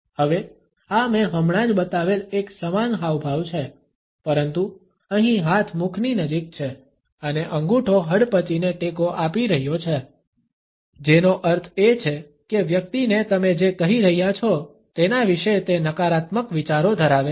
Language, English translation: Gujarati, Now, this is a similar gesture to the one I have just shown, but here the hand is nearer to the mouth and the thumb is supporting the chin, which means that the person has negative thoughts about what you are saying